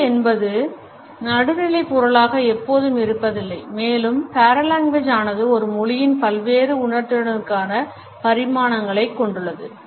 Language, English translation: Tamil, Language is never in neutral commodity paralanguage sensitizes us to the various dimensions language can have